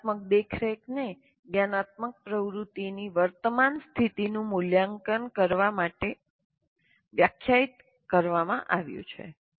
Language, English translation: Gujarati, A metacognitive monitoring is defined as assessing the current state of cognitive activity